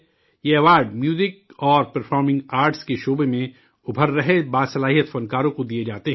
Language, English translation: Urdu, These awards were given away to emerging, talented artists in the field of music and performing arts